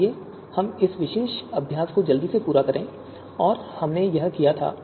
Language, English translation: Hindi, So let us quickly run through this particular exercise that we had done